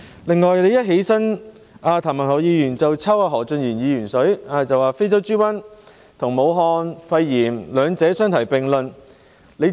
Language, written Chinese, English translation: Cantonese, 另外，譚議員一站起來便向何俊賢議員"抽水"，將非洲豬瘟和"武漢肺炎"兩者相提並論。, In addition when Mr TAM rose to speak he immediately piggybacked on Mr Steven HO by mentioning African swine fever in the same breath with Wuhan pneumonia